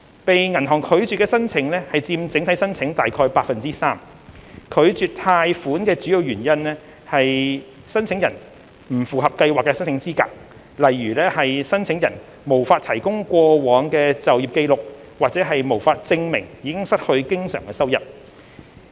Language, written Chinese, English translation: Cantonese, 被銀行拒絕的申請佔整體申請約 3%， 拒絕貸款的主要原因為申請人不符合計劃的申請資格，例如申請人無法提供過往的就業紀錄和無法證明已失去經常收入。, Around 3 % of the applications were rejected by the banks mainly due to non - compliance with the schemes eligibility criteria such as failure to provide proofs of past employment or cessation of main recurrent incomes